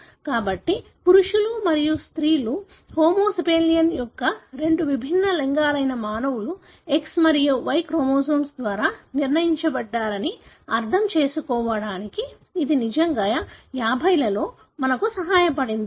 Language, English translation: Telugu, So, this has really helped us in 50Õs to even understand that the male and female, two different sex of homo sapiens, humans, are determined by X and Y chromosome